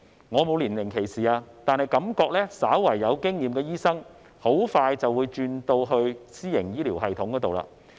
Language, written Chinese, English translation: Cantonese, 我並非年齡歧視，但感覺稍為有經驗的醫生很快就會轉職到私營醫療系統。, I do not discriminate against them because of their age but I feel that doctors with some experience will soon switch to the private healthcare system